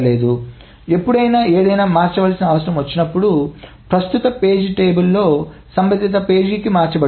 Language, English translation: Telugu, So whenever something needs to be changed, the corresponding page in the current page table is what is being changed